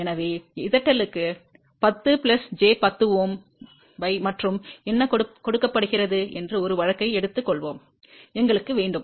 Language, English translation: Tamil, So, let us just take a case where Z L is given by 10 plus j 10 Ohm and what we want